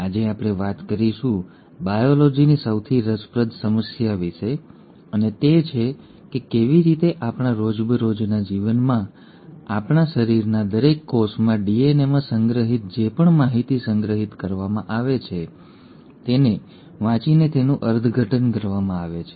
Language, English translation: Gujarati, Today we are going to talk about one of the most interesting problems in biology and that is, how is it that in our day to day lives and in each and every cell of our body whatever information that is stored in the DNA is read and interpreted